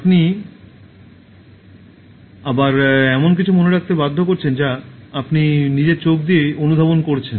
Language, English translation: Bengali, And then again you are forcing that to remember something that you are absorbing through your eyes and then taking it to your mind